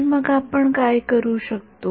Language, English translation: Marathi, So, what can we do